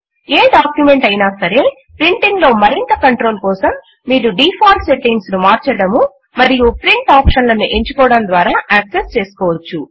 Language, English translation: Telugu, You can have more control over printing any document by accessing the Print option and changing the default settings